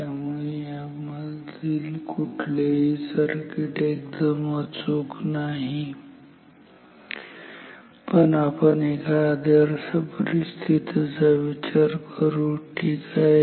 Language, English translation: Marathi, So neither of this circuit is a good is perfect, but ideally now let us think of an ideal situation ok